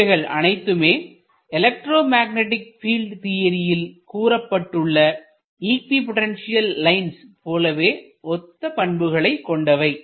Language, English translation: Tamil, So, this is very much analogous to the equipotential line that you get in say electromagnetic field theory